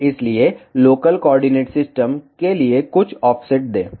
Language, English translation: Hindi, So, give some offset for local coordinate system